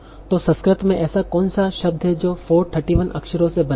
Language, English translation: Hindi, So what is the particular word in Sanskrit that is composed of 431 letters